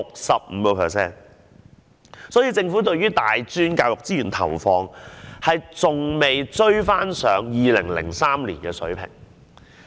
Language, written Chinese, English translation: Cantonese, 所以，政府對於大專教育資源的投放，還未追回2003年的水平。, For that reason the level of the allocation of resources to tertiary institutions by the Government could not even meet the level of 2003